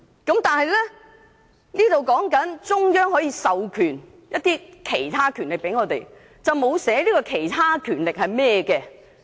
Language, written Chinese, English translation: Cantonese, "條文只訂明中央可授予香港其他權力，但沒有指明這些其他權力是甚麼。, It stipulates that the Central Authorities can grant other powers to Hong Kong without specifying what the other powers are